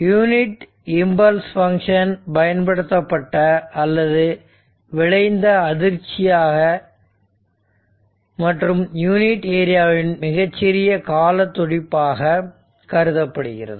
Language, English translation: Tamil, So, the unit impulse may be regarded as an applied or resulting shock and visualized as a very short duration pulse of unit area